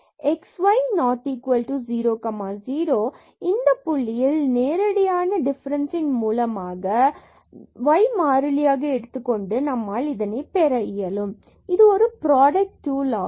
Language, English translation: Tamil, So, at x y not equal to 0 0 point, we can get this derivative by the direct differentiation of this treating this y constant